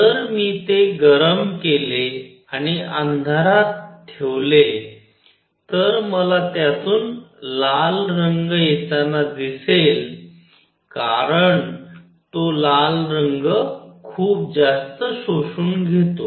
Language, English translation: Marathi, If I heat it up and put it in the dark, I am going to see red color coming out of it because it absorbs red much more